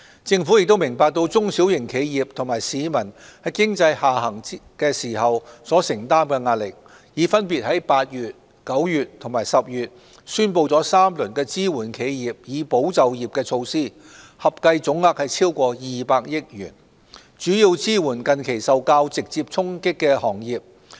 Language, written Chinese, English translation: Cantonese, 政府明白中小型企業及市民在經濟下行時所承擔的壓力，已分別於8月、9月及10月宣布3輪支援企業以保就業的措施，合計總額超過200億元，主要支援近期受較直接衝擊的行業。, The Government is well aware of the pressure borne by small and medium enterprises SMEs and members of the public amid an economic downturn . We announced in August September and October respectively three rounds of support measures amounting to over 20 billion for enterprises especially those impacted rather directly to safeguard jobs